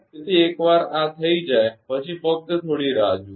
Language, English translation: Gujarati, So, once this is done just hold on